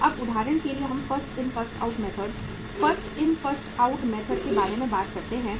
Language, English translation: Hindi, So now for example we talk about the First In First Out Method, First In First Out Method